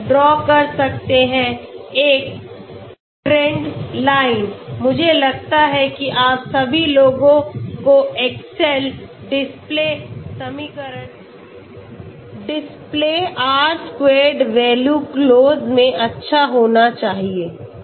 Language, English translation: Hindi, So we can draw a trend line I think you all guys must be good at excel okay, display equation, display R squared value close okay